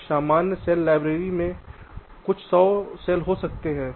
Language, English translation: Hindi, a typical cell library can contain a few hundred cells